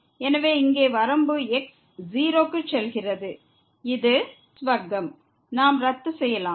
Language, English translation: Tamil, So, here the limit goes to and this is square we can cancel out